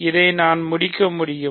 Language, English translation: Tamil, So, we can complete this